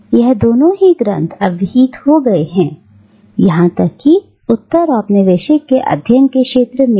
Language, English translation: Hindi, And both of these texts have now become canonical, even in the field of Postcolonial studies